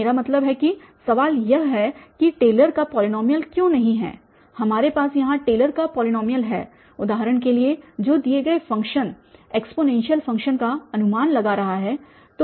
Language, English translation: Hindi, I mean the question is that why not this Taylor’s polynomial, we have that Taylor’s polynomial here which is approximating the given function for instance the exponential function